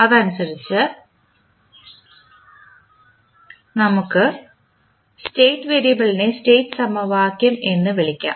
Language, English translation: Malayalam, And, accordingly we can sum up the state variable into a equation call the state equation